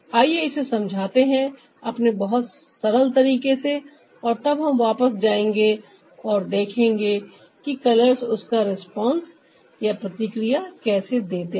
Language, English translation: Hindi, lets explain that in our very simplistic manner and then we'll go back and see how the colors respond to that